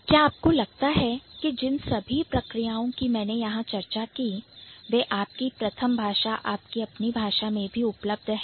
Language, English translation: Hindi, Do you think all the processes that I have discussed here are available in your language